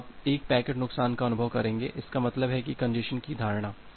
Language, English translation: Hindi, So, you will experience a packet loss; that means the notion of the congestion